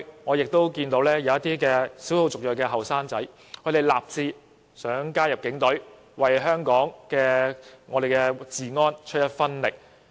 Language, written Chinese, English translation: Cantonese, 我亦曾見過一些少數族裔青年人立志加入警隊，希望為維持香港治安出一分力。, I have also come across cases about EM young people aspiring to join the Police so that they can help maintain law and order in Hong Kong